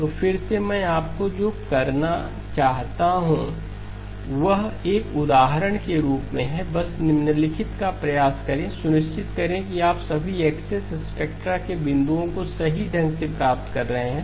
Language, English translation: Hindi, So again what I would like you to do is as an example just try out the following, make sure that you are getting all of the axes, the points on the spectra correctly